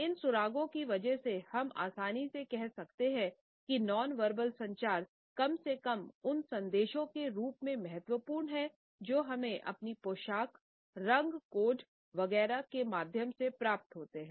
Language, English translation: Hindi, Because of these clues we can easily say that this dimension of nonverbal communication is at least as important as the messages which we receive through our dress, the colour codes etcetera